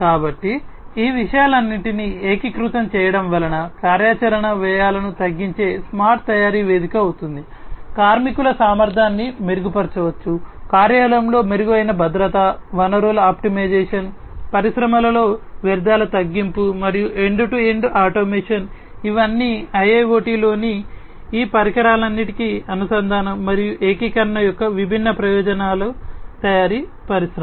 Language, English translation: Telugu, So, together the integration of all of these things would make a smart manufacturing platform that will provide reduction in operational costs, efficiency of the workers can be improved, improved safety at the workplace, resource optimization, waste reduction in the industries, and end to end automation these are all the different benefits of interconnection and integration of all these devices in IIoT in the manufacturing industry